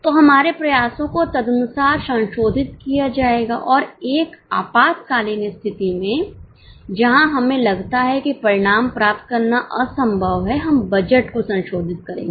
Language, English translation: Hindi, So, our efforts will be accordingly revised and in an emergency situation where we feel that it is impossible to achieve the results, we will revise the budget